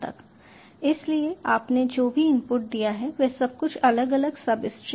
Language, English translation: Hindi, so whatever input you had given, it has been individually separated into substrings